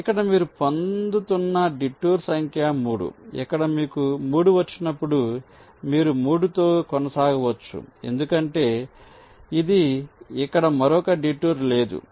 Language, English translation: Telugu, so here, detour number three, you are getting, but here, as you get three, you can continue with three because this is no further detour here